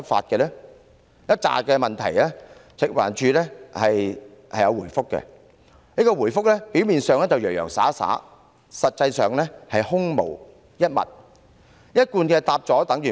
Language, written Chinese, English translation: Cantonese, 對於以上一系列問題，食環署有作出回覆，但其回覆表面上洋洋灑灑，實際上空洞無物，貫徹一向作風，答覆有等於無。, With regard to the series of questions set out above FEHD has given a lengthy reply which has no substance at all in line with its usual stype